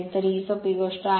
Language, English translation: Marathi, So, this is simple thing